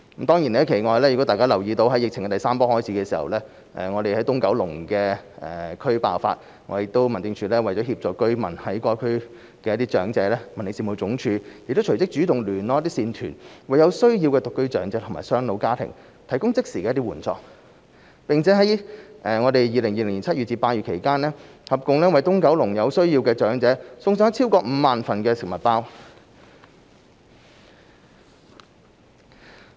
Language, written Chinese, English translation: Cantonese, 大家亦可能留意到，當疫情第三波開始時，東九龍地區爆發疫情，為協助居民和當區長者，民政事務總署亦隨即主動聯絡一些善團，為有需要的獨居長者或雙老家庭提供即時援助，在2020年7月至8月期間，為東九龍有需要的長者送上超過5萬份食物包。, Members may also note that at the start of the third wave of the epidemic East Kowloon saw the outbreak of the disease . To help residents and elderly persons in the districts the Home Affairs Department immediately took the initiative to get in contact with certain charities to provide immediate assistance to elderly singletons or families of elderly doubletons in need . From July to August 2020 over 50 000 food packs were provided to elderly persons in need in East Kowloon